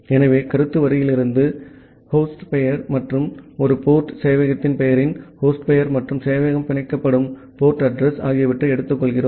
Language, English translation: Tamil, So, then from the comment line, we take the hostname and a port, the host name of the name of the server and the port address where the server is getting binded